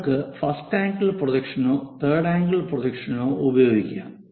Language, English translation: Malayalam, To know more about this first angle projection system or third angle projection system